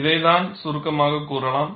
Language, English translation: Tamil, This is what is summarized